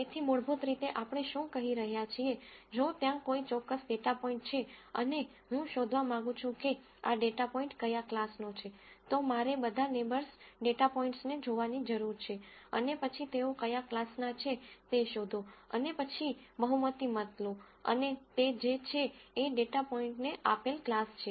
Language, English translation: Gujarati, So, what basically we are saying is, if there is a particular data point and I want to find out which class this data point belongs to, all I need to do is look at all the neighboring data points and then find which class they belong to and then take a majority vote and that is what is the class that is assigned to this data point